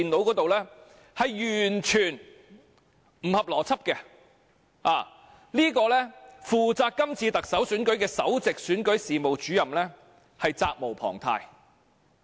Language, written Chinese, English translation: Cantonese, 這是完全不合邏輯的，負責今次特首選舉的首席選舉事務主任責無旁貸。, This is entirely illogical and the Principal Electoral Officer in charge of the Chief Executive Election should be held responsible